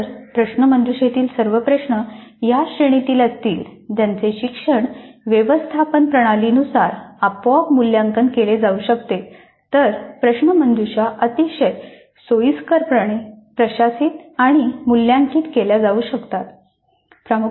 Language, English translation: Marathi, If all quiz items belong to categories that can be readily evaluated automatically as offered by the learning management systems then the quizzes can be very conveniently administered and evaluated